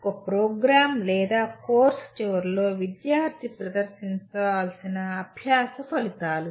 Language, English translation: Telugu, The learning outcomes the student should display at the end of a program or a course